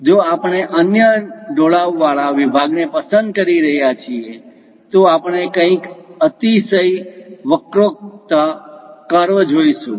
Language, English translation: Gujarati, If we are picking other inclined section, we see something named hyperbolic curves